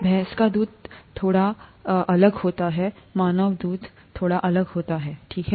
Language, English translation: Hindi, Buffalo milk is slightly different and human milk is slightly different, okay